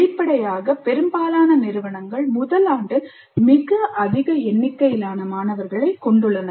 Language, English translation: Tamil, And obviously most of the institutes have a very large number of students in the first year